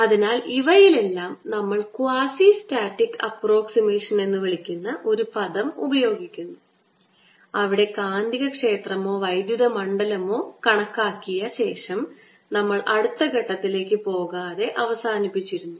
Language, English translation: Malayalam, so we were using in all this something called the quasistatic approximation, where we stopped after calculating the magnetic field or electric field and did not go beyond to the next step